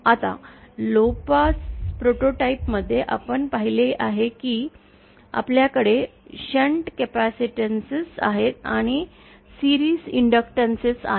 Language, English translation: Marathi, Now, in our low pass prototype, we had seen that we have capacitances in shunt and inductances in series